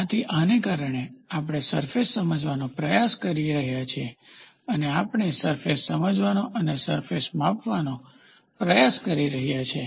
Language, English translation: Gujarati, So, because of this we are trying to understand the surface and we are trying to measure a surface and quantify a surface